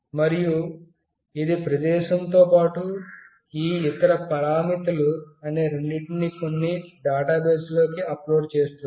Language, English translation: Telugu, And it will upload both the location along with these other parameters into some database